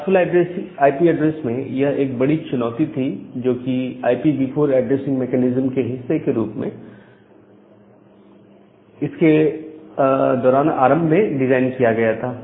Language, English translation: Hindi, So, that was the major problem with the classful IP address that was initially designed as a part of IPv4 addressing mechanism